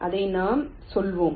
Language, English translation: Tamil, so what i am saying